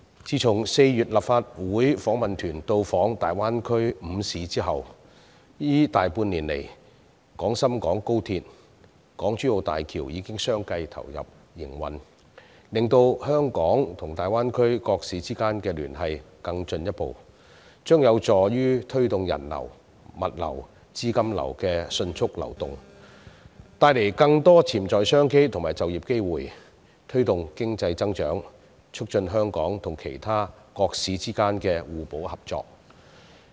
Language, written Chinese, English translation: Cantonese, 自從4月立法會訪問團到訪大灣區5個城市後，這大半年來，廣深港高速鐵路和港珠澳大橋已相繼投入營運，令香港與大灣區各市之間的聯繫更進一步，這將有助於推動人流、物流、資金流的迅速流動，帶來更多潛在商機和就業機會，推動經濟增長，促進香港與其他城市之間的互補合作。, It has been more than half a year since the Delegation visited the five cities in the Greater Bay Area in April and in the meantime the commissioning of the Guangzhou - Shenzhen - Hong Kong Express Rail Link XRL and the Hong Kong - Zhuhai - Macao Bridge HZMB has further put Hong Kong and various Greater Bay Area cities into closer contact with each other . It helps foster the rapid flow of people goods and capital within the Greater Bay Area create more potential business opportunities and employment opportunities promote economic growth and enhance complementarity and cooperation between Hong Kong and other cities